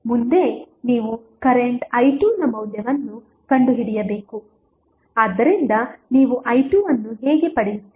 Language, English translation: Kannada, Next is you need to find out the value of current i 2, so how you will get i 2